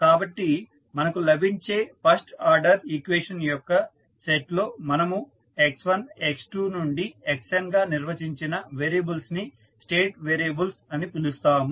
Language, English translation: Telugu, So, the set of the first order equation which we get in that the variables which you have define like x1, x2 to xn we call them as state variable